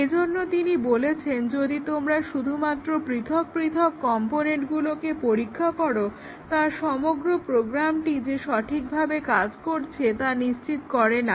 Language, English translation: Bengali, So, he says that if you just test the individual component that does not really guarantee that the entire program will be working